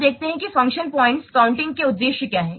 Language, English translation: Hindi, Now let's see what are the objectives of function point counting